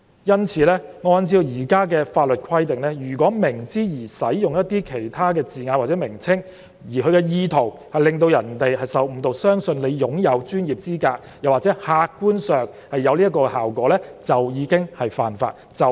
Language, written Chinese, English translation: Cantonese, 因此，按照現行法例的規定，如果明知而使用一些字眼或名稱，而其意圖是致使其他人受誤導，相信他擁有專業資格或客觀上達致這個效果，即屬犯法。, Therefore in accordance with the provisions of the existing legislation it is an offence to knowingly use certain terms or descriptions intended to mislead other people into believing that he has the professional qualifications or to objectively achieve this effect